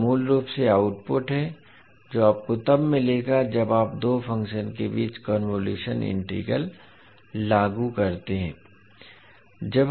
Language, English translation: Hindi, So this is the basically the output which you will get when you apply convolution integral between two functions